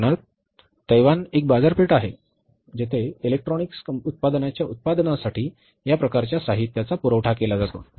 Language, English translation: Marathi, For example, Taiwan is a market which provides this kind of the material for manufacturing the electronics products